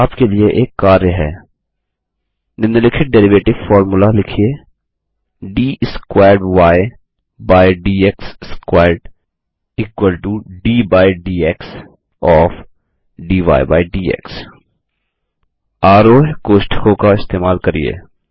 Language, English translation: Hindi, Here is an assignment for you: Write the following derivative formula: d squared y by d x squared is equal to d by dx of